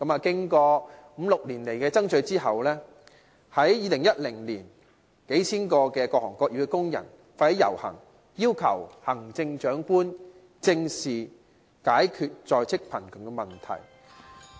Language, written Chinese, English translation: Cantonese, 經過五六年的爭取，在2010年，數千名各行各業的工人發起遊行，要求行政長官正視解決在職貧窮的問題。, After striving for it for five to six years thousands of workers from different trades and industries initiated a procession in 2010 urging the Chief Executive to address squarely the problem of in - work poverty